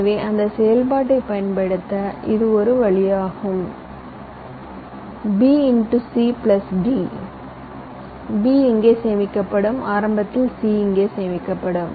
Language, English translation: Tamil, as i had mentioned, b into c plus d, where b would be stored here initially, c would be stored here